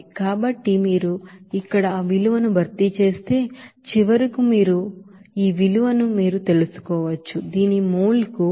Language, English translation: Telugu, So if you substitute those values here, then finally you can get you know this value of you know 0